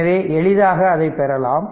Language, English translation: Tamil, So, easily you can get it